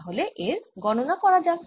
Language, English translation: Bengali, so let us calculate this